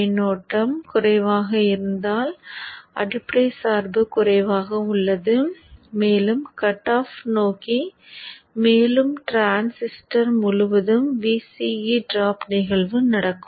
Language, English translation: Tamil, Lesser the current, lesser the base bias, more towards the cutoff and more is the VCA drop across the transistor